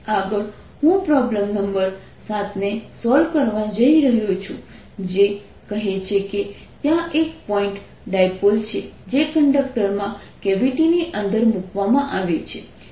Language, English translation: Gujarati, next i am going to solve problem number seven, which says there is a point dipole which is put inside a cavity in a conductor